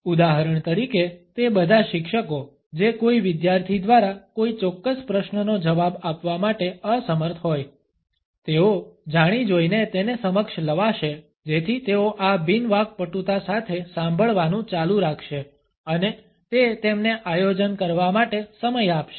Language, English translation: Gujarati, For example all those teachers who are unable to answer to a particular question by a student, would deliberately introduced it so that they would keep on listening with these non fluencies and it would give them time to plan